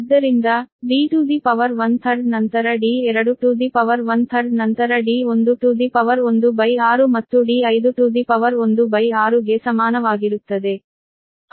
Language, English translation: Kannada, one third, that is one third so is equal to it is d to the power, one third, then d two to the power, one third, then d, one to the power, one by six and d five to the power, one by six, right